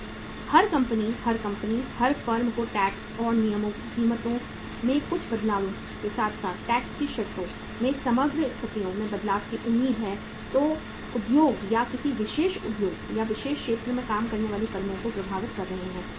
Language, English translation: Hindi, So everybody, every company, every firm expects some changes in the tax and regulations in the prices as well as the say uh overall conditions changes in the tax conditions which are affecting the industry or the firms working in a particular industry or particular area